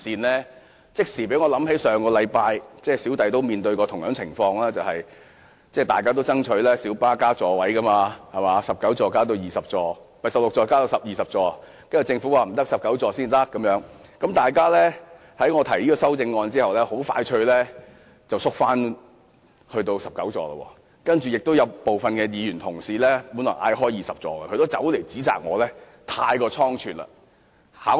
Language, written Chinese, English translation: Cantonese, 這即時令我想起上星期我也面對同樣情況，大家都爭取小巴增設座位，政府只同意由16個增至19個座位，而非增至20個座位，但有議員在我提出由16個增至20個座位的修正案後很快退縮，只願意接受增至19個座位。, This immediately reminded me of a similar situation that I faced last week . While we all strove for the increase of seats in light buses the Government only agreed to increase the number of seats from 16 to 19 rather than 20 . Several Members quickly retracted their support of my amendment to increase the number of seats from 16 to 20 and only accepted the 19 - seat proposal